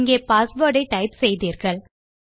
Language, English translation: Tamil, and see you have typed your password